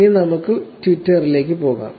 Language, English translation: Malayalam, Now, let us go to Twitter